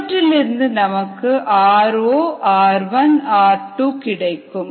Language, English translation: Tamil, with that we can get r not, r one and r two